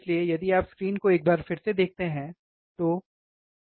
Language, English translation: Hindi, So, if you see the screen once again, right